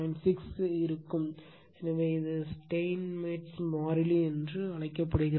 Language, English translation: Tamil, 6, so it is called Steinmetz constant right